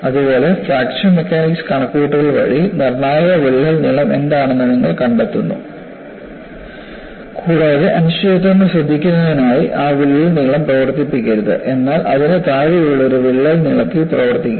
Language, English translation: Malayalam, Similarly, by a fracture mechanics calculation you find out what is a critical crack length, and in order to take care of uncertainties, do not operate that crack length, but operate at a crack length below that